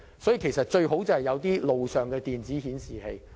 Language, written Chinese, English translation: Cantonese, 所以，政府最好在路上增設電子顯示器。, The Government should therefore install electronic signboards on the roadside